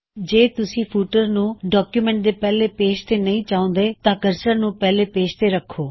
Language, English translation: Punjabi, If you dont want a footer on the first page of the document, then first place the cursor on the first page